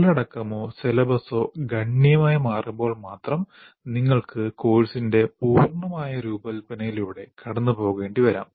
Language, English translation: Malayalam, Only when the content or the syllabus significantly changes, you may have to go through the complete redesign of the course